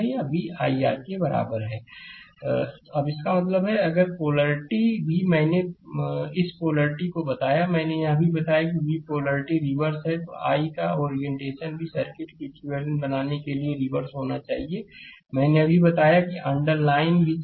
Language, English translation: Hindi, Now; that means, if] that polarity also I told you this polarity also I told you that if the polarity of v is reverse, the orientation i must be reverse to maintain equivalent that I just told you, the underlined also right